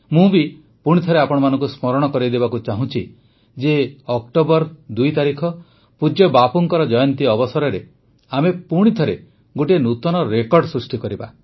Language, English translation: Odia, I too would like to remind you again that on the 2 nd of October, on revered Bapu's birth anniversary, let us together aim for another new record